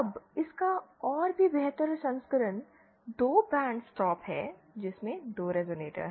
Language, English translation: Hindi, Now, even better version of this is to have 2 band stop is to have 2 resonators